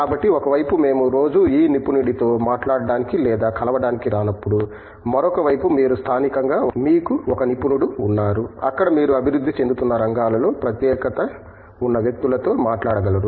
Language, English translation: Telugu, So, on one side when we do not get to talk to or meet with this specialist on daily basis, on the other side, you have a specialist that you were disposal locally where you can talk to people with a specialties in emerging areas of